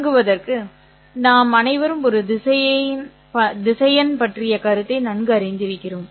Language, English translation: Tamil, To begin with, we are all quite familiar with the notion of a vector